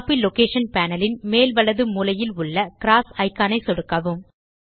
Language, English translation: Tamil, Left click the cross icon at the top right corner of the Copy location panel